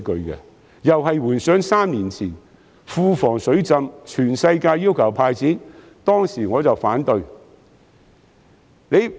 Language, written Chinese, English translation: Cantonese, 同樣是回想3年前庫房"水浸"，當時全世界要求"派錢"，但我卻反對。, Recalling again the time when the Treasury was flooded three years ago everyone demanded the Government to hand out cash but I opposed it